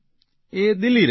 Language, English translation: Gujarati, He stays in Delhi